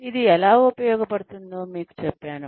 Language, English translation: Telugu, I told you, how it is used